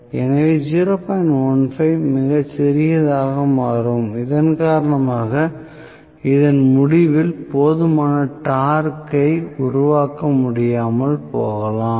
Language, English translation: Tamil, 15 becomes extremely small because of which it may not be able to develop enough torque at the end of this, right